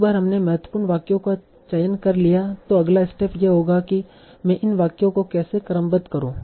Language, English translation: Hindi, Once we have selected the important sentences, the next step will be how do I order these sentences